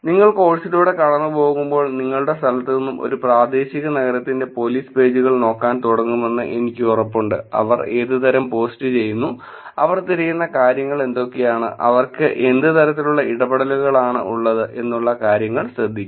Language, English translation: Malayalam, And I am sure as you are going through the course you will also start looking at, I hope you will also start looking at the police pages of a local city from your location are actually start saying, what kind of post they are doing, what kind of things that they are looking for, what kind of interactions are they having